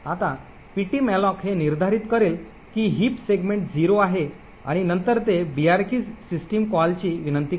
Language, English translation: Marathi, Now the ptmalloc would determining that the heap segment is 0 and then it would invoke the brk system call